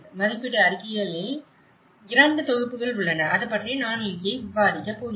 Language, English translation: Tamil, There are two sets of assessment reports, I am going to discuss here